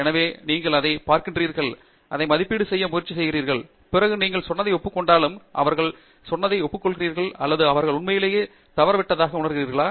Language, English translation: Tamil, So, you look at it, you try to assess it, and then see if that makes sense to you, whether you agree with what they have said or you feel that they have actually missed the point